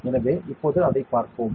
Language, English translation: Tamil, So, let us look at it now